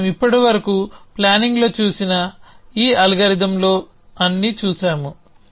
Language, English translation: Telugu, So, all this algorithms that we are have seen of planning so far